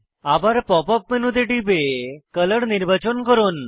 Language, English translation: Bengali, Open the Pop up menu again and select Color